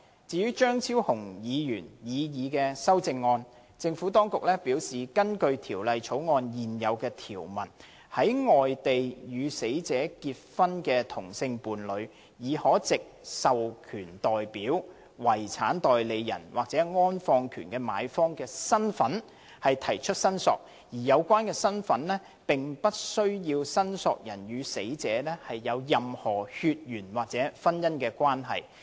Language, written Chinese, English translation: Cantonese, 至於張超雄議員的擬議修正案，政府當局表示，根據《條例草案》現有條文，在外地與死者結婚的同性伴侶，已可藉"獲授權代表"、"遺產代理人"或"安放權的買方"的身份提出申索，而有關身份並不需要申索人與死者有任何血緣或婚姻關係。, Regarding Dr Fernando CHEUNGs proposed CSA the Administration has advised that according to the current provisions in the Bill a same - sex partner married at a place outside Hong Kong may already claim for the return of the ashes of the deceased person in the capacities of an authorized representative a personal representative or the purchaser of the interment right which do not require the claimant to have any connection with the deceased person by blood or marriage